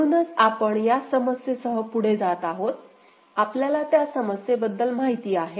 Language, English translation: Marathi, So, we continue with the problem, you are aware of that problem